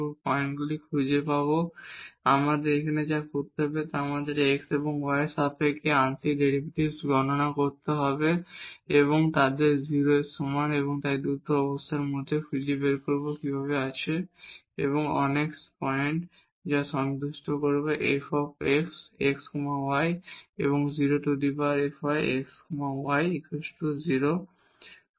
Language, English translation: Bengali, So, what we have to do now to find the critical points, we have to compute the partial derivatives with respect to x and with respect to y and set them equal to 0 and out of these two conditions we will find out how there are how many points which satisfy f x is equal to 0 and f y is equal to 0